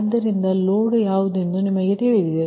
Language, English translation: Kannada, so we will know that load is known to you